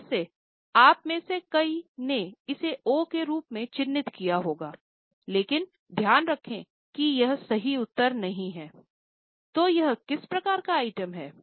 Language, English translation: Hindi, Again, many of you would have marked it as O but keep in mind that is not the correct answer